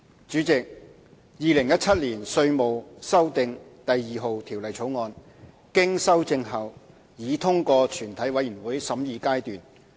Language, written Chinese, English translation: Cantonese, 主席，《2017年稅務條例草案》經修正後已通過全體委員會審議階段。, President the Inland Revenue Amendment No . 2 Bill 2017 has passed through the Committee stage with amendments